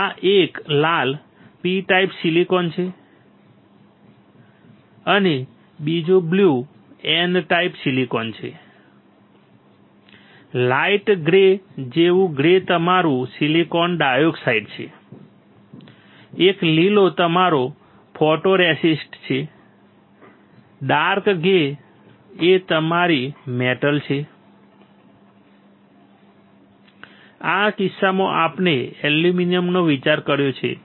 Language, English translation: Gujarati, The red one the first one is P type silicon and the second one blue one is N type silicon, the grey one like light grey is your silicon dioxide, green one is your photoresist, dark grey one is your metal, in this case we have considered aluminium